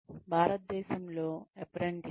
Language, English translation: Telugu, Apprenticeship in India